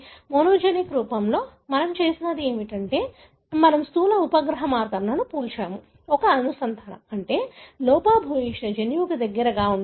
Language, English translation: Telugu, In monogenic form what we have done is, we have compared macro satellite marker, a linkage, meaning that is present in close proximity to a gene that is defective